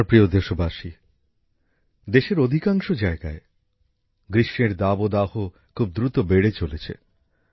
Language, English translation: Bengali, My dear countrymen, summer heat is increasing very fast in most parts of the country